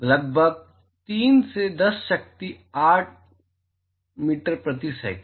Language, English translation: Hindi, Approximately 3 into 10 power 8 meters per second